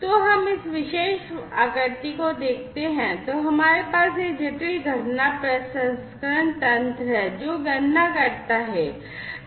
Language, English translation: Hindi, So, let us look at this particular figure, we have this complex event processing mechanism, which does the computation